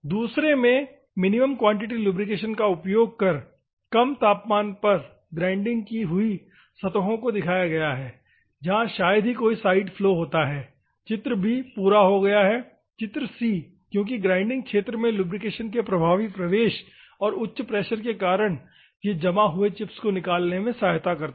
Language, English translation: Hindi, In the second one, hardly any side flow is due to the reduced temperature of grinding surfaces on applying the minimum quantity lubrication, figure b is completed; figure c because of the effective penetration of lubrication into the grinding zone and the high pressure, it aids remove the chips adhering and other things ok